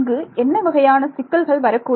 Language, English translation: Tamil, What kind of complications might be here